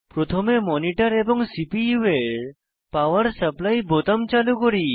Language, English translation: Bengali, First of all, switch on the power supply buttons of the monitor and the CPU